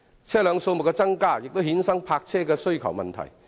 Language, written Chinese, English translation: Cantonese, 車輛數目增加亦衍生泊車位需求的問題。, An increased number of vehicles will generate the problem of an increasing demand for parking spaces